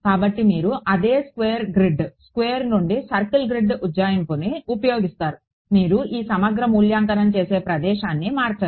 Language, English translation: Telugu, So, you use the same square grid, square to circle grid approximation, you do not change the where you would evaluate this integral right